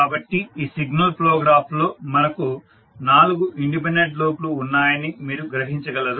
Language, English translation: Telugu, So you see in this particular signal flow graph we have four independent loops